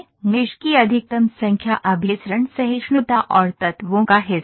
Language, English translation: Hindi, Maximum number of mesh is convergence tolerance and portion of elements